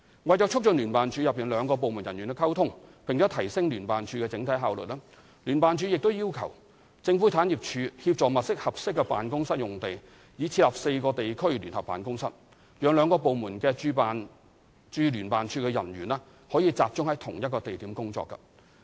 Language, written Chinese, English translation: Cantonese, 為促進聯辦處內兩個部門人員的溝通，並提升聯辦處整體效率，聯辦處已要求政府產業署協助物色合適的辦公室用地，以設立4個地區聯合辦公室，讓兩個部門的駐聯辦處人員可集中在同一地點工作。, To enhance the communication between JO staff of the two departments and to improve the overall efficiency of JO JO is seeking assistance of the Government Property Agency to identify suitable office space for setting up of four regional joint offices for co - location of JO staff of the two departments